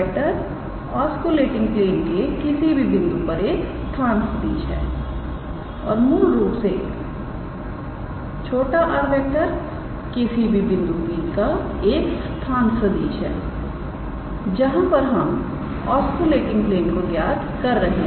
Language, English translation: Hindi, So, r is the position vector of any point on that oscillating plane and small r is basically the position vector of a point P where we are calculating that oscillating plane alright